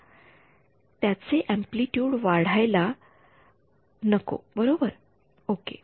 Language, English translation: Marathi, It should not gain in amplitude right ok